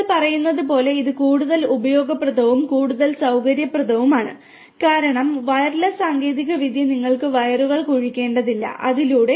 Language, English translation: Malayalam, And as you were saying that, it is more useful and more convenient basically because wireless technology you do not have to really the dig wires and through that